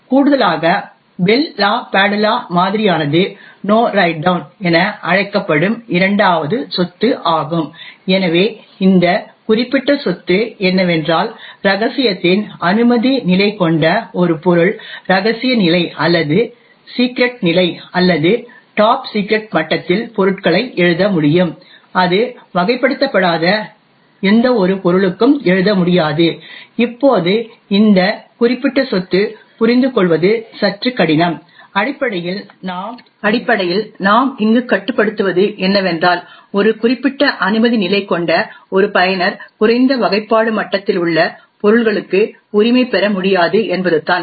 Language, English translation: Tamil, Additionally the Bell LaPadula model also has is second property known as No Write Down, so what this particular property means is that while a subject with a clearance level of confidential can write objects in confidential level or secret level or top secret level, it will not be able to write to any unclassified objects, now this particular property is a bit difficult to understand, essentially what we are restricting here is that a user with a certain clearance level cannot right to objects which are at a lower classification level, on the other hand this particular subject can write to all objects at a higher classification level